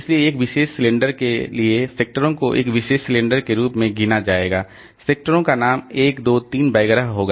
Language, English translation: Hindi, So, for a particular cylinder, the sectors will be numbered as one particular cylinder, the sectors will be named as 1, 2, 3 etc